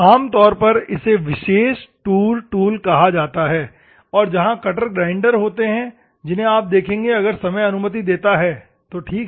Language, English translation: Hindi, Normally, there is called a specialized tour tool, and cutter grinders are there which you will see if time permits, ok